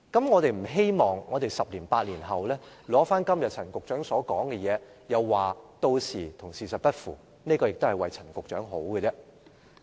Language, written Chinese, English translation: Cantonese, 我們不希望在十年八載後，拿出陳局長今天所說的，屆時又說與事實不符，這亦是為陳局長好。, The one thing we do not want to see is that after 8 or 10 years what Secretary CHAN said today is proven factually incorrect . We are just trying to do good to Secretary CHAN